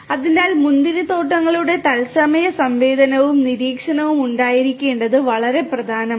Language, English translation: Malayalam, So, it is very important to have real time sensing and monitoring of the vineyards